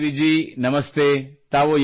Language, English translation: Kannada, Sukhdevi ji Namaste